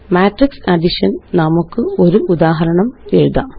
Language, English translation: Malayalam, Now let us write an example for Matrix addition